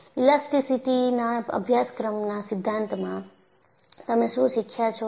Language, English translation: Gujarati, In theory of elasticity course, what you learned